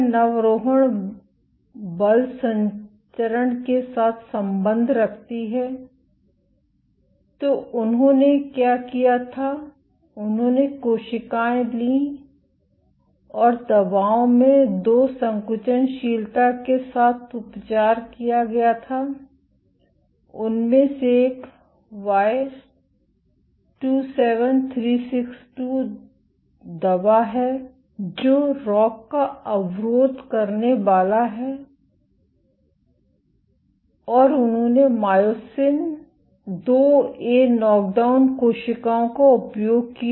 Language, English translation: Hindi, Whether recruitment correlates with force transmission what they did was they took cells and treated with 2 contractility perturbing in drugs one is Y27362 which is the ROCK inhibitor and they used myosin IIA knockdown cells